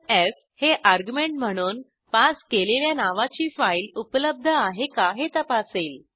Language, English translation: Marathi, f checks if the file exists with the same name that was passed as an argument